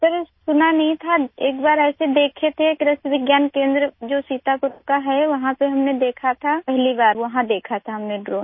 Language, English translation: Hindi, Sir, I had not heard about that… though we had seen once, at the Krishi Vigyan Kendra in Sitapur… we had seen it there… for the first time we had seen a drone there